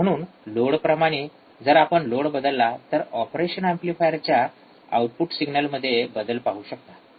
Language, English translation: Marathi, so, depending on the load, if we vary the load we will see the change in the signal at the output of the operational amplifier